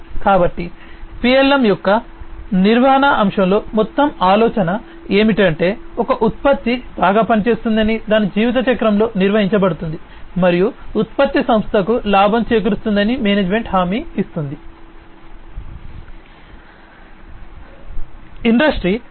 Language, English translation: Telugu, So, the whole idea in the management aspect of PLM is to ensure that a product works well, it is managed across its lifecycle and the management guarantees that the product will earn the profit for the company